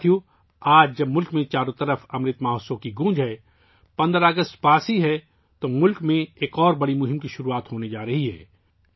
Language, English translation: Urdu, Friends, in the midst of the ongoing reverberations of Amrit Mahotsav and the 15th of August round the corner, another great campaign is on the verge of being launched in the country